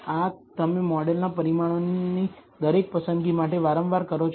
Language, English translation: Gujarati, This you do repeatedly for every choice of the parameters in the model